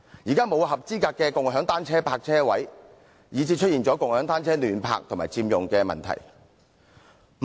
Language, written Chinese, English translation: Cantonese, 現時沒有正規的共享單車泊車位，以致出現共享單車胡亂停泊及佔用地方的問題。, Currently there are no regular parking spaces for shared bicycles giving rise to indiscriminate parking of shared bicycles and occupation of space